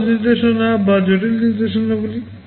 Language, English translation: Bengali, Simple instructions or complex instructions